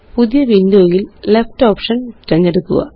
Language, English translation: Malayalam, In the new window, choose the Left option